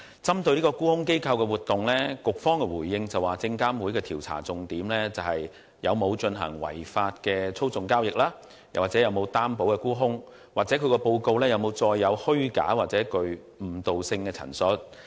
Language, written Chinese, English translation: Cantonese, 針對沽空機構的活動，局方的回應指出，證監會的調查重點在於有否進行違法的操縱交易或無擔保沽空活動，以及沽空報告是否載有虛假或具誤導性的陳述。, With regard to the activities of short selling institutions the Bureau pointed out in its response that SFCs investigations focus on whether there has been any manipulative trading or naked short selling and whether the short seller report contained any materially false or misleading statements